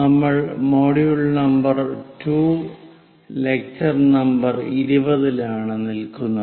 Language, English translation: Malayalam, We are in module number 2 and lecture number 20